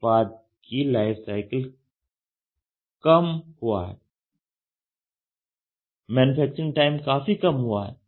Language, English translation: Hindi, The product life cycle time has shrunk down; the manufacturing time has shrunk down drastically ok